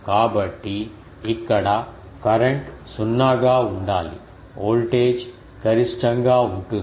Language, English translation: Telugu, So, here the current should be 0 the voltage is maximum